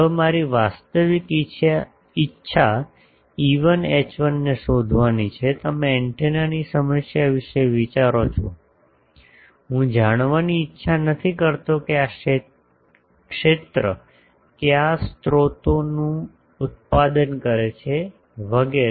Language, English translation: Gujarati, Now, my actual intension is to find E1 H1, you see think of an antenna problem; that I do not want to know what sources is producing this field etc